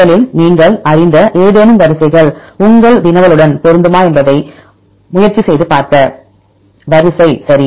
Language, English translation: Tamil, Well first you try to see whether any known sequences are matching with your query sequence right